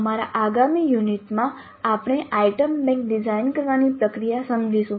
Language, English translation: Gujarati, So, in our next unit we will understand the process of designing an item bank